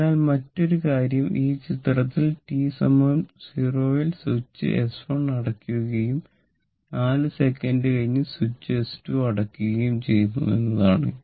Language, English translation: Malayalam, So, at t is equal to 0 switch S 1 is closed and 4 second later S 2 is closed